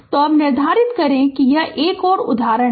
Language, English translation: Hindi, So, determine now this is another example